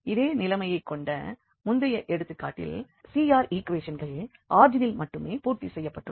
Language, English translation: Tamil, So the same situation what we had in the previous example that CR equations are satisfied only at origin